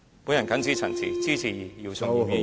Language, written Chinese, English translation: Cantonese, 我謹此陳辭，支持姚松炎議員的議案。, With these remarks I support Dr YIU Chung - yims motion